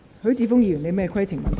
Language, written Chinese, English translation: Cantonese, 許智峯議員，你有甚麼規程問題？, Mr HUI Chi - fung what is your point of order?